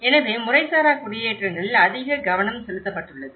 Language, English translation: Tamil, So, the focus has been very much focus on the informal settlements